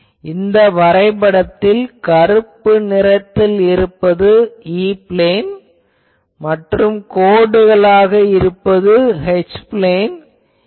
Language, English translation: Tamil, Then, this is the patterns you see black one is the black one is the E plane and the dashed one is the H plane pattern